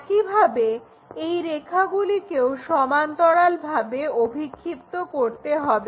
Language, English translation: Bengali, Similarly, project these lines all the way parallel